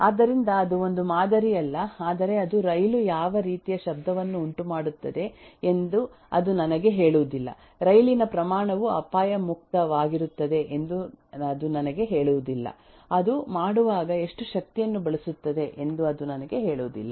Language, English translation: Kannada, So that is what is a model which is not but but it will not tell me what kind of noise the train will produce, it will not tell me whether the travel of the train will be risk free, it will not tell me how much power it will consume in doing this